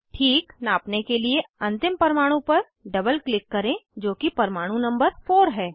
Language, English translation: Hindi, To fix the measurement, double click on the ending atom, which is atom number 4